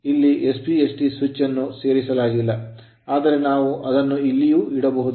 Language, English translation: Kannada, So, here SPST I have not shown, but you can you can put it here also